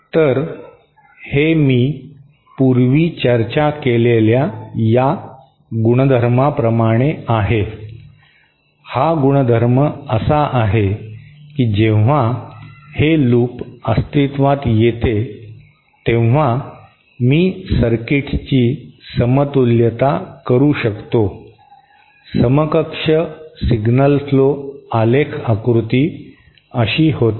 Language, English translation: Marathi, So, then this is, this from the identity that I just discussed previously, this identity, that when a loop like this is present, I can equivalent circuit, the equivalent signal flow graph diagram will become like this